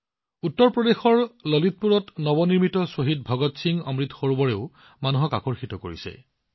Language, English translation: Assamese, The newly constructed Shaheed Bhagat Singh Amrit Sarovar in Lalitpur, Uttar Pradesh is also drawing a lot of people